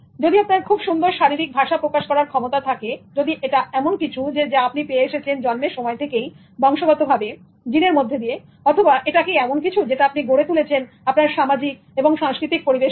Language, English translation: Bengali, So if you have good body language, is it something that is given to you by birth, by heredity, by gene, or is it something that you developed from the culture